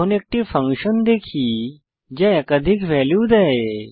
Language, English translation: Bengali, Now, let us see a function which returns multiple values